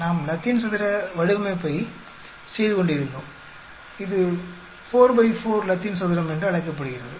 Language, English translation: Tamil, We were doing Latin square design it is called 4 by 4 Latin square